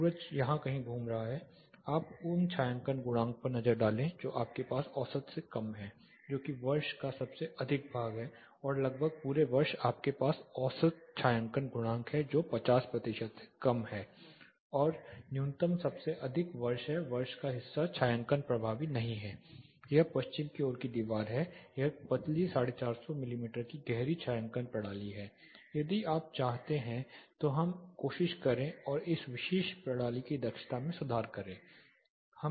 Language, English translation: Hindi, The sun is moving somewhere here take a look at the shading coefficients you have less than average that is most part of the year are almost all of the year you have average shading coefficient which is less than 50 percent and the minimum is like most part of the year the shading is not effective this is the west facing wall it is a thin 450 mm deep shading system, if you want to let us try and improve the efficiency of this particular system